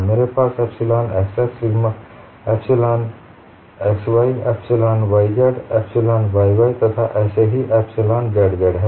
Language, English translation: Hindi, The strain tensor will appear like this; I have epsilon xx epsilon xy, epsilon yx epsilon yy as well as epsilon zz